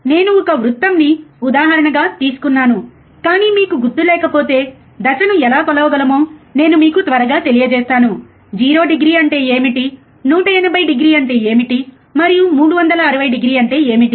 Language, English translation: Telugu, I have taken the example of a circle, but if you do not remember let me just quickly tell you how we can measure the phase, or what do you mean by 0 degree what you mean by 180 degree, and what you mean by 360 degree